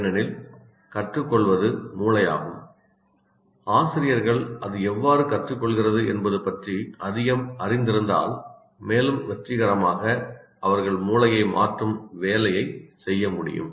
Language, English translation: Tamil, And the more they know about how it learns, because it's a brain that learns, the more they know about how it learns, the more they know about how it learns, the more successful they can perform their job of changing the brain